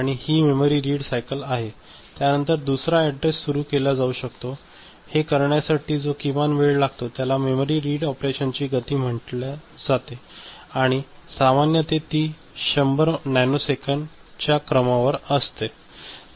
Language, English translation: Marathi, And this is one memory read cycle after that another address can be floated and the minimum time that is required that defines the speed of this memory read operation and typically it is of the order of 100 nanosecond